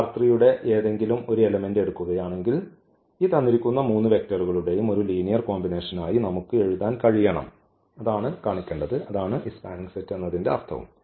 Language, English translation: Malayalam, That if we take any element of this R 3 any element of this R 3, then we must be able to write down as a linear combination of these three vectors and that is what we mean this spanning set